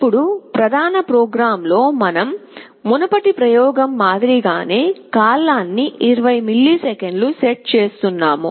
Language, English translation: Telugu, Now, in the main program we are setting the period to 20 milliseconds, just like the previous experiment